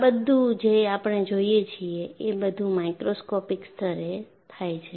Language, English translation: Gujarati, So, what you will have to look at is, all of these happen at a microscopic level